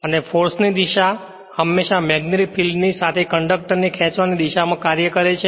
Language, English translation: Gujarati, And the force always act in a direction to drag the conductor you are along with the magnetic field